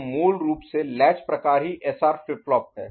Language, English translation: Hindi, So, basically latch type is SR flip flop